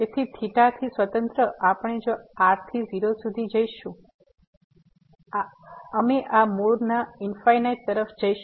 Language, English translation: Gujarati, So, independent of theta, we if we approach r to 0; we will approach to infinite to this origin